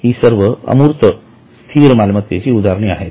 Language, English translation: Marathi, All these are examples of intangible fixed assets